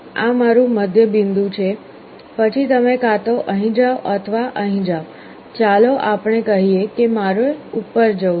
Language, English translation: Gujarati, This is my middle point then you either go here or here, let us say I have to go up